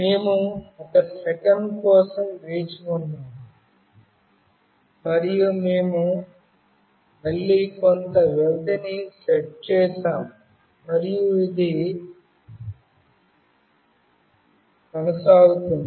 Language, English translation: Telugu, We wait for 1 second and we again set some period and this goes on